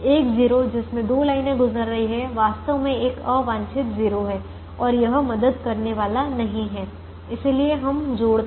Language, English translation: Hindi, a zero that now has two lines passing through is actually an unwanted zero and that is not going to help